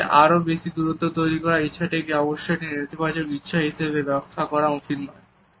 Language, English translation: Bengali, However, this desire to create a bigger distance should not be interpreted as necessarily a negative desire